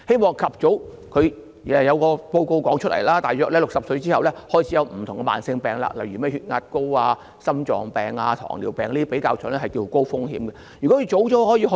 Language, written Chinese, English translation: Cantonese, 過去亦有報告指出，我們大約在65歲後開始便會有不同的慢性疾病，例如高血壓、心臟病、糖尿病這些比較高風險的疾病。, Reports have pointed out that we will start developing various chronic diseases or high risk diseases such as hypertension heart diseases and diabetes after turning 65